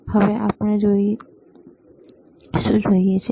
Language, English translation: Gujarati, Now, what we see